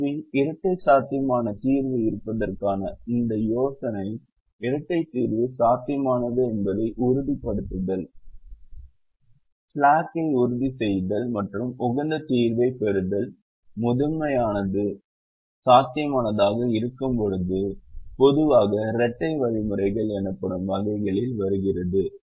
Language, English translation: Tamil, so this idea of having a dual feasible solution, ensuring that the dual solution is feasible, ensuring complimentary slackness and getting an optimum solution when the primal becomes feasible, generally comes in category of what are called dual algorithms